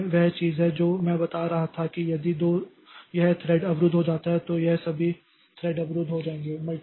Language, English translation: Hindi, So, that is the thing that I was telling that if this thread gets blocked, then all these threads they will get blocked